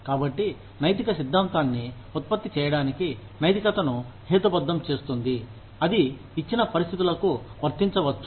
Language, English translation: Telugu, So, ethics rationalizes morality to produce ethical theory, that can be applied to given situations